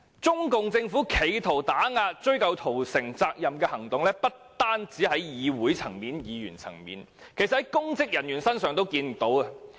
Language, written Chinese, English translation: Cantonese, 中共政府企圖打壓追究屠城責任的行動，不單在議會和議員層面，其實在公職人員身上也看得到。, The CPC Governments attempt to suppress moves to pursue responsibility for the massacre is not only found at the levels of the Legislative Council and its Members it can also be seen from public officers